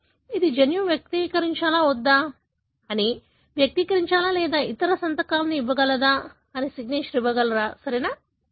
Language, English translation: Telugu, It could give a signature that whether the gene should express or not express or some other signature, right